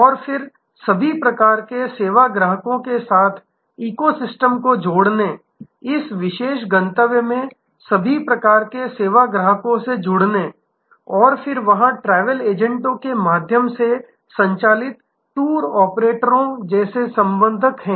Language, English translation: Hindi, And then, connecting this eco system of all kinds of service customers, connecting to all kinds of service customers in this particular destination and then, there are connectors like tour operators operating through travel agents